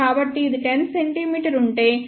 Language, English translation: Telugu, So, if this is 10 centimeter then 1